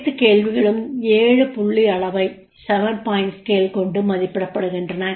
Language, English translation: Tamil, All questions are rated on a seven point scale